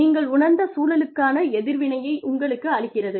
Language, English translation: Tamil, It is your response, to what you perceive, the environment is giving you